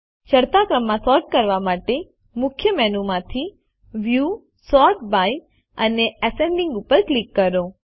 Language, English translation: Gujarati, To sort it in the ascending order, from the Main Menu, click on View, Sort by and Ascending